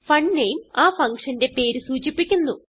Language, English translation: Malayalam, fun name defines the name of the function